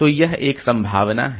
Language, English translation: Hindi, So that is one